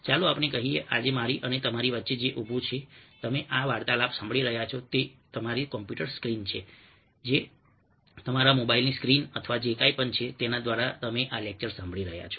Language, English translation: Gujarati, lets say that what is stands between me and ah you today, as you are listening to this talk, is your computer screen or your mobile screen or whatever it is through which you are listening to this lecture